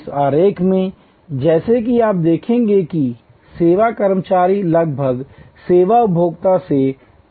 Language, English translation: Hindi, In this diagram, as you will see service employees are almost separated from service consumers